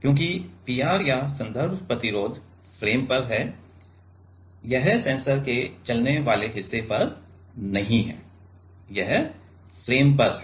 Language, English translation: Hindi, Because, the P r or the reference resistance is at the frame this is not on the moving part of the sensor, this is on the frame